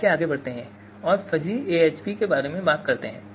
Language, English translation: Hindi, So let us talk about Fuzzy AHP